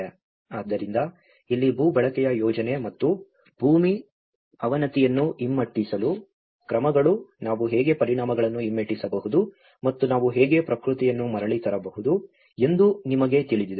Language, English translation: Kannada, So, this is where the land use planning and measures to reverse the land degradation, you know how we can reverse the impacts and how we can bring back the nature